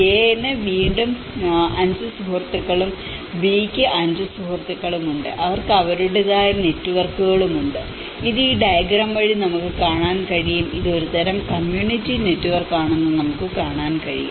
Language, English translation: Malayalam, And A has again the 5 friends and B has 5 friends and they have their own networks and this we can see by this diagram, we can see it is a kind of a community network